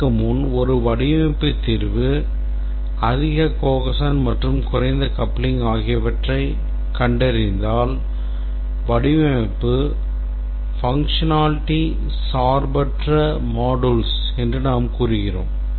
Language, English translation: Tamil, Before that, if a design solution we find that it has high cohesion and low coupling, then we say that is a functionally independent set of modules